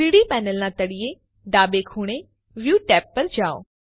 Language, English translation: Gujarati, Go to view tab in the bottom left corner of the 3D panel